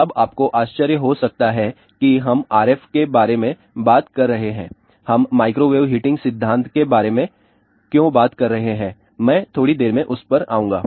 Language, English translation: Hindi, Now, you might wonder that we are talking about RF, why we are talking about microwave heating principle I will come to that in a short while